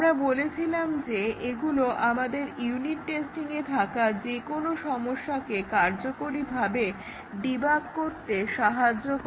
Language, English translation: Bengali, We had said that these help us to effectively debug any problems in unit testing